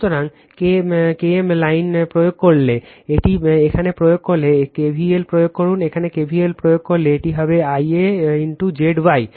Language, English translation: Bengali, So, if you apply your K KM lining this one if you apply your you this here if you apply KVL here, if you apply KVL here, it will be I a into Z y right